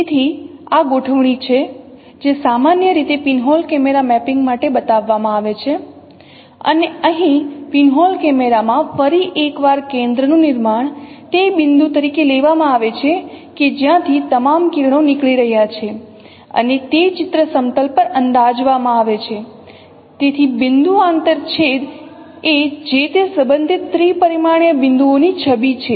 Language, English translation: Gujarati, So this is the configuration what is usually shown for pinhole camera mapping and here the in the pinhole camera once again center of projection is taken as the point which connects from which all the rays are emanating and which is projected on the image plane